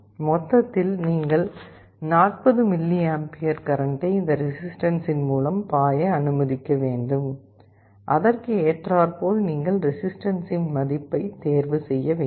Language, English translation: Tamil, So, in total you should allow 40mA of current to flow through this resistance, accordingly you should choose the value of the resistance